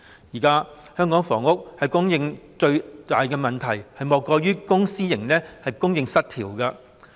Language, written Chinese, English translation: Cantonese, 現時香港房屋供應最大的問題，莫過於公私營供應失調。, At present the biggest problem with housing supply in Hong Kong is none other than an imbalance in public and private supply